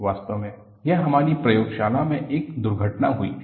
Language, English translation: Hindi, In fact, this was an accident in our laboratory